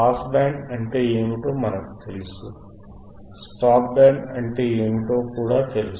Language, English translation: Telugu, We know what is pass band, we know what is stop band we also know, correct